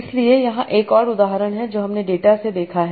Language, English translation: Hindi, So here is another example that we observe from the data